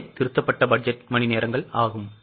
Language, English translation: Tamil, That means revised budgeted hours